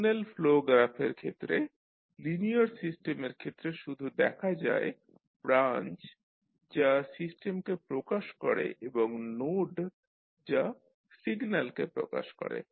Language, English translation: Bengali, In case of signal flow graph we will see, for the linear system we will see only branches which represent the system and the nodes which represent the signals